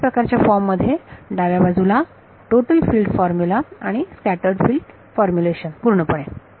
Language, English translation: Marathi, The same form the left hand side is the same in total field formula in total and scattered field formulation